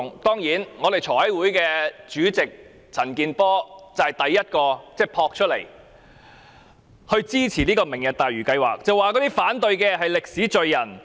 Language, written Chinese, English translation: Cantonese, 立法會財委會主席陳健波率先撲出來支持"明日大嶼"計劃，聲稱反對者將成為歷史罪人。, CHAN Kin - por Chairman of FC of the Legislative Council dashed out in the first instance to support the Lantau Tomorrow project claiming that people who opposed the project would be blamed by history